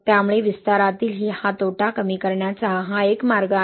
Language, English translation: Marathi, So this is one of the ways to mitigate this loss in expansion